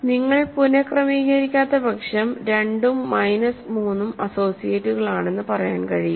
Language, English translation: Malayalam, So, unless you reorder you cannot say 2 and minus 3 are associates